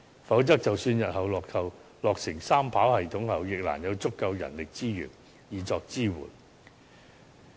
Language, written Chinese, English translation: Cantonese, 否則，即使日後落成三跑系統，亦難有足夠人力資源作支援。, Otherwise even if the three - runway system is completed in future sufficient manpower will not be available to serve as its support